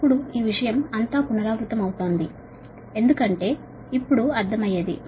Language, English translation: Telugu, now all this thing are repeating because understandable